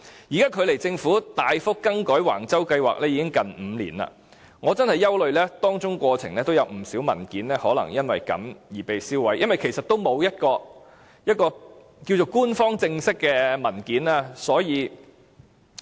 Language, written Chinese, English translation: Cantonese, 現在距離政府大幅更改橫洲計劃已近5年，我非常憂慮有不少文件已被銷毀，所以我們應支持議案，要求政府公開官方正式的文件。, It has been almost five years now since the Government drastically altered the plan at Wang Chau and I am very worried that a lot of the documents have already been destroyed . Therefore we should support the motion and request the Government to make public the official documents